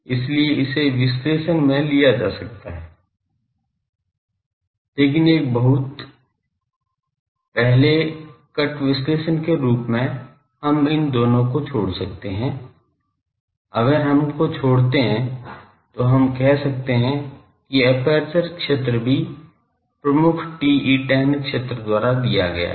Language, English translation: Hindi, So, that can be taken into the analysis, but as a very, first cut analysis we can neglect both of these, if we neglect them then we can say that the aperture field is also given by the dominant TE 10 field